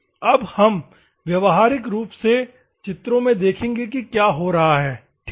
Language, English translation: Hindi, Now, we will see the practically what is happening in the figures ok